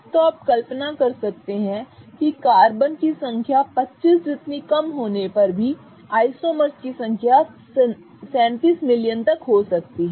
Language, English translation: Hindi, So, you can imagine that as we go on increasing the number of carbons even for a small number of carbons which is 25, you can have up to 37 million compounds